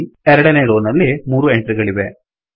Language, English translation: Kannada, There will be three entries in the second row